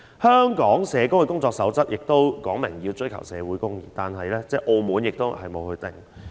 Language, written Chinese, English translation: Cantonese, 香港社工的工作守則說明要追求社會公義，這是連澳門也沒有的規定。, Pursuing social justice is a requirement laid down in the code of practice for social workers in Hong Kong but this is not applicable elsewhere not even in Macao